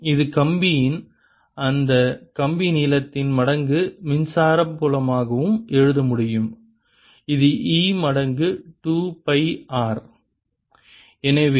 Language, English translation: Tamil, this could also write as electric field on that wire times length of the wire, which is e times two pi r